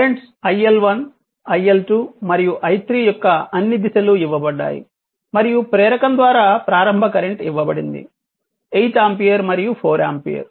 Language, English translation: Telugu, All the direction of the current iL1 iL2 and this is another i3 is given right and your initial current through the inductor, it is given 8 ampere and 4 ampere